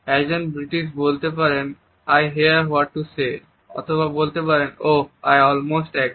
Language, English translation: Bengali, A British may comment “I hear what to say” or may also say “oh I almost agree”